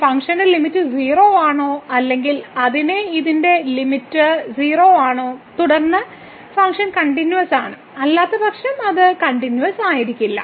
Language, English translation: Malayalam, Whether the limit of this function is 0 or same thing here that the limit of this is 0; then, the function is continuous, otherwise it is not continuous